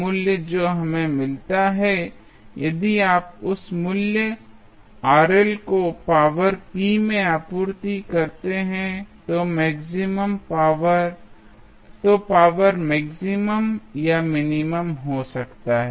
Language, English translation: Hindi, The Rl value what we get if you supply that value Rl into the power p power might be maximum or minimum